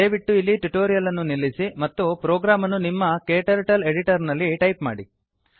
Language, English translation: Kannada, Please pause the tutorial here and type the program into your KTurtle editor